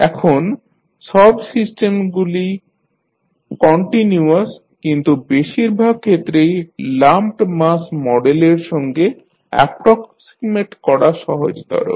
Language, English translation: Bengali, Now, in reality almost all systems are continuous but in most of the cases it is easier to approximate them with lumped mass model